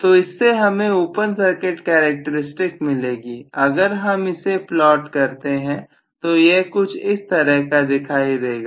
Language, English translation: Hindi, So, I am going to have essentially the open circuit characteristics if plotted and that will be probably somewhat like this